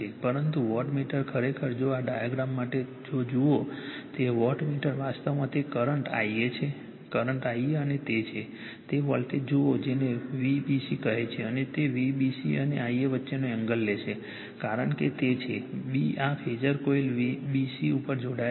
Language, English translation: Gujarati, But wattmeter actually, , if therefore, your , this thing , for this diagram if you look into that wattmeter sees actually , that current current I a , current I a and it is , sees the voltage your what you call V b c , and it will take angle between V b c and I a right, because it is , b this phasor coil as connected at b c